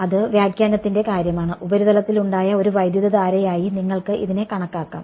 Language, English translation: Malayalam, That is a matter of interpretation you can also think of it as a current that is being induced on the surface